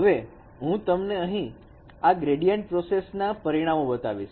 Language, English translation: Gujarati, So the results of this gradient operations let me show you here